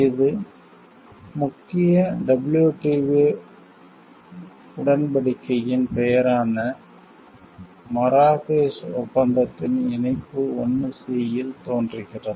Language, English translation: Tamil, It appears at Annex 1 C of the Marrakesh agreement which is the name for the main WTO agreement